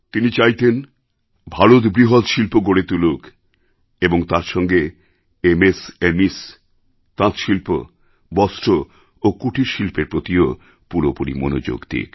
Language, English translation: Bengali, He had wanted India to develop heavy industries and also pay full attention to MSME, handloom, textiles and cottage industry